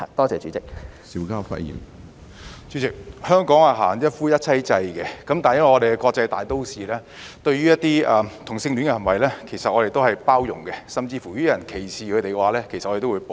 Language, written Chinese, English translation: Cantonese, 主席，香港行一夫一妻制，但因為我們是國際大都市，對於同性戀行為，我們都是包容的，甚至如果有人歧視他們，我們都會保護。, President monogamy is practiced in Hong Kong . However as an international metropolis we are tolerant of homosexuality and we will protect homosexuals from any discrimination against them